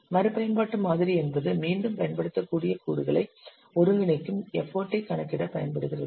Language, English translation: Tamil, So a reuse model is used to compute the effort of integrating some reusable components